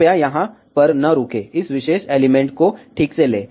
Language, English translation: Hindi, Please do not stop over here, take this particular element ok